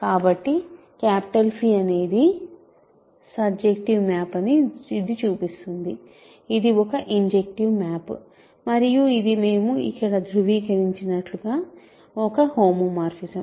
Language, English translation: Telugu, So, this shows that phi is a surjective map, it is an injective map and it is a homomorphism as we verified here